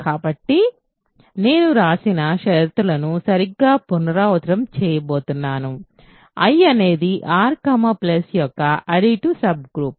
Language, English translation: Telugu, So, I am going to repeat exactly the conditions that I wrote: I is an additive subgroup of R plus